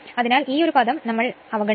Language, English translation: Malayalam, So, this term we will neglect